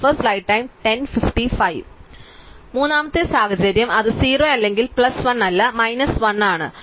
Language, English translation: Malayalam, So, the third situation is that it is not 0 or plus 1, but the slope at y is minus 1